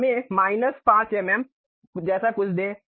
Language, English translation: Hindi, Now, let us give something like minus 5 mm